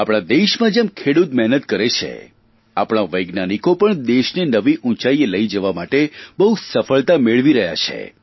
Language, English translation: Gujarati, In our country, like the toiling farmers, our scientists are also achieving success on many fronts to take our country to new heights